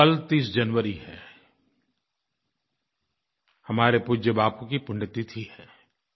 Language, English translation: Hindi, Tomorrow is 30th January, the death anniversary of our revered Bapu